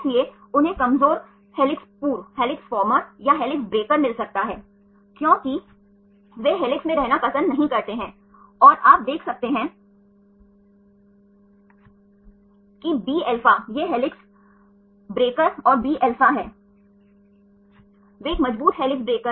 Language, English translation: Hindi, So, they may get weak helix former or helix breaker, because they does not prefer to be in the helix and you can see a bα these are helix breakers and Bα, they a strong helix breaker